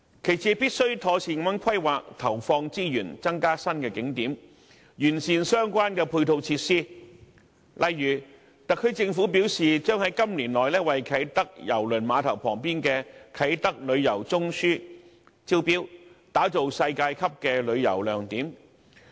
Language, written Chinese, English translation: Cantonese, 其次，政府必須妥善地規劃和投放資源，以增加新景點，並完善相關配套設施，例如特區政府表示，將於今年內為在啟德郵輪碼頭旁邊的"啟德旅遊中樞"招標，打造世界級的旅遊亮點。, Secondly the Government should properly plan and allocate resources for the development of new attractions as well as the improvement of the relevant complementary facilities . For instance according to the SAR Government a tender will be invited this year for the Kai Tak Tourism Node in the vicinity of the Kai Tak Cruise Terminal to develop a world - class tourist attraction